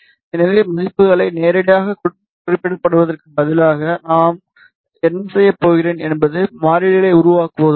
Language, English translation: Tamil, So, instead of specifying the values directly what I am going do is to create variables